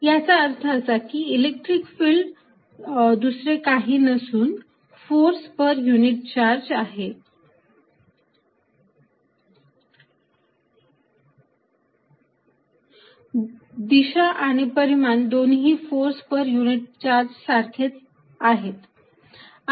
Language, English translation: Marathi, That means, by definition electric field is nothing but force per unit charge direction and magnitude both are equivalent to force per unit charge